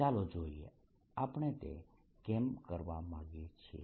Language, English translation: Gujarati, let's see why do we want to do that